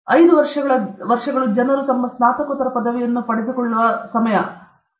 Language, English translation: Kannada, 5 years is also the time people get their Master’s degree M